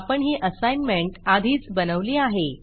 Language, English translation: Marathi, I have already constructed the assignment